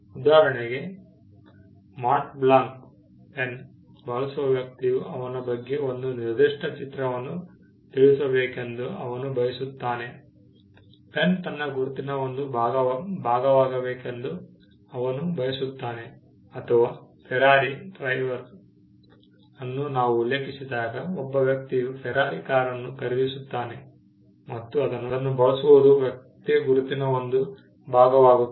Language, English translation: Kannada, For instance, a person who uses a Mont Blanc pen, he wants a particular image to be conveyed about him, he wants the pen to be a part of his identity or when we refer to a Ferrari driver again the fact that a person purchases the car and uses it becomes a part of a person’s identity